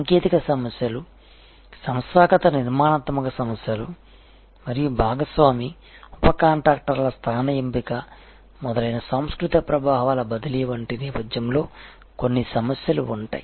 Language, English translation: Telugu, Within the at there will be some issues at the background like cultural influences transfer of technology issues organizational structural issues and location selection of partner sub contractors etc